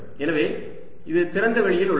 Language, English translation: Tamil, so this is in free space